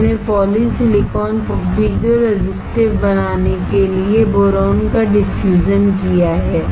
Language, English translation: Hindi, We have diffused boron to make the polysilicon piezo resistive